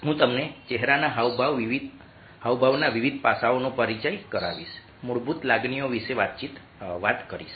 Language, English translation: Gujarati, i will just introduced different aspects of facial expressions to you